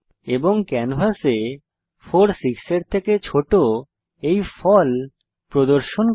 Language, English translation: Bengali, and has displayed the result 4 is smaller than 6 on the canvas